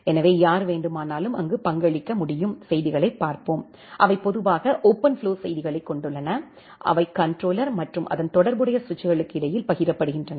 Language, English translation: Tamil, So, anyone can contribute there, let us look into the messages, which are there in general OpenFlow the messages, which is shared between the controller and corresponding switches